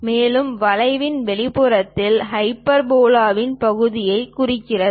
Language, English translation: Tamil, And the exterior of the curve represents part of the hyperbola